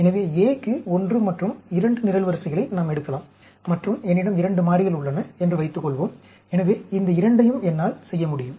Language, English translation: Tamil, So, we can pick up column 1 and 2, for A and suppose I have 2 variables, so, I can do these two